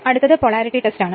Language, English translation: Malayalam, Next is Polarity Test